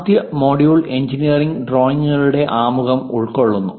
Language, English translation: Malayalam, The first module covers introduction to engineering drawings